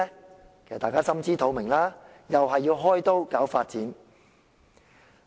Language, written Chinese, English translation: Cantonese, 大家其實也心知肚明，又是要被開刀搞發展。, We all know that they will be targeted for development